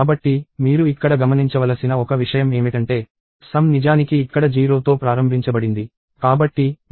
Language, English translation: Telugu, So, one thing that you have to notice here is that, the sum is actually initialized to 0 here